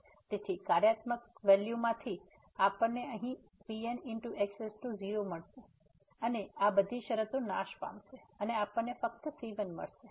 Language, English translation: Gujarati, So, from the functional value we will get here and is equal to all these terms will vanish and we will get only